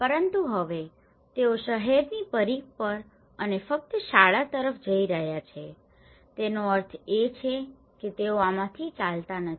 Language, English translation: Gujarati, But now, they are walking on the periphery of the town and only to the school which means they are not walking from this